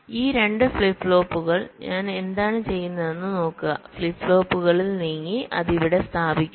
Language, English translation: Malayalam, suppose what i do: these two flip flops, so move across flip flops and place it here